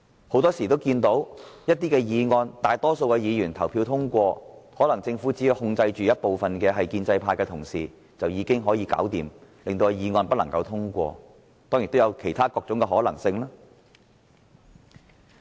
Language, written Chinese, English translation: Cantonese, 很多時候，議案本來得到大多數議員支持，但政府只要控制建制派議員，便可令議案不獲通過，當然亦有其他各種可能性。, In many cases even if a motion is supported by a majority of Members the Government can stop the motion from passing by simply controlling pro - establishment Members . Of course we cannot deny that there are other possibilities